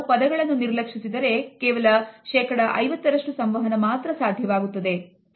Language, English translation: Kannada, So, we can either ignore words, but then we would only have 50% of the communication